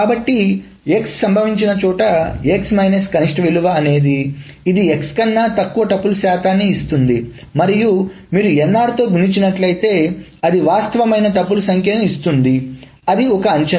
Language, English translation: Telugu, So wherever x occurs, the x minus minimum gives you roughly the percentage of tuples that are going to fall below x and then if you multiply that with the inner that gives the actual number of tuples